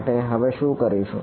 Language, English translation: Gujarati, So, what I will do is now